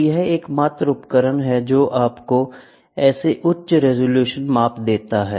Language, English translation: Hindi, And this is the only device which gives you such a high resolution measurement